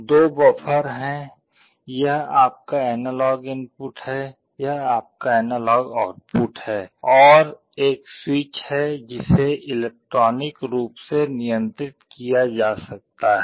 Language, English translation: Hindi, There are two buffers, this is your analog input, this is your analog output, and there is a switch which can be controlled electronically